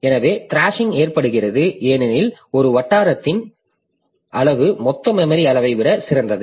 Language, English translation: Tamil, So, thrashing occurs because the size of this locality is greater than total memory size